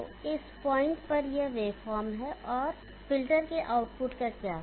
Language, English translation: Hindi, So this is the wave form at this point, and what about the output of the filter